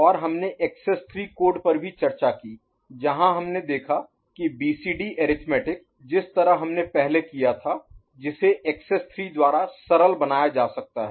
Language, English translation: Hindi, And we also discussed the excess 3 code, where we saw that the BCD arithmetic, the way you had conducted before that can be made simpler by excess 3